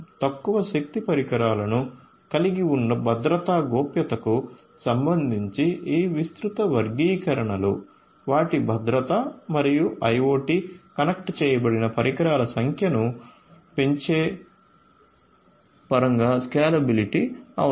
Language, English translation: Telugu, So, these are some of these broad classifications of challenges with respect to the security privacy having low power devices their security in turn and the scalability in terms of increasing the number of IoT connected devices